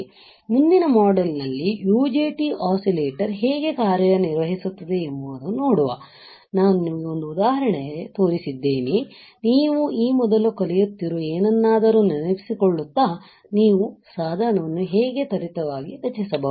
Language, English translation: Kannada, So, I will see in the next module, by the time just look at it how the UJT oscillator works, right, I have shown you in an example; how you can fabricate a device very quickly just recalling something that you are learning earlier